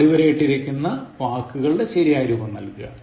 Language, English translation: Malayalam, So, give the correct form of the underline words